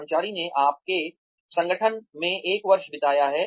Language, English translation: Hindi, The employee has, spent one year in your organization